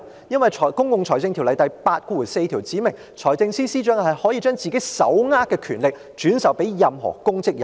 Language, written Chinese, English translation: Cantonese, 因為《公共財政條例》第84條訂明財政司司長可將自己手握的權力進一步轉授任何公職人員。, Because section 84 of the Public Finance Ordinance provides that the Financial Secretary can further delegate such power vested in him to any public officer